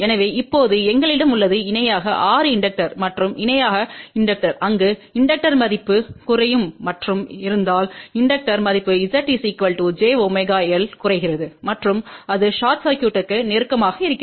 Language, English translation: Tamil, So, we have now 6 inductors in parallel and inductors in parallel there inductor value will reduce and if the inductor value reduces Z equal to j omega will reduce and that will be closer to the short circuit